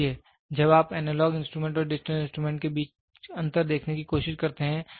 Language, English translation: Hindi, So, when you try to see the difference between analog instrument and digital instrument